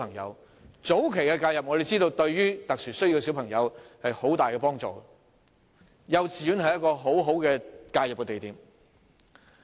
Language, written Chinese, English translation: Cantonese, 我們知道早期介入對於有特殊教育需要的小朋友有很大幫助，幼稚園是一個很好的介入點。, We know that early intervention is very helpful to SEN children and kindergartens are very good intervention points . The second type is non - Chinese speaking NCS students